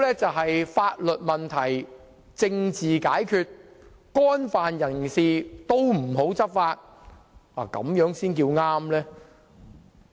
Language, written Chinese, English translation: Cantonese, 是否要法律問題政治解決，不對干犯法律的人士採取執法行動，這樣才算正確？, And do they actually mean that we should stop taking enforcement actions against law - breakers and simply let politics deal with matters that should be handled judicially?